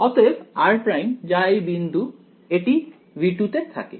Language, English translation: Bengali, So, r prime which is this point over here stays in V 2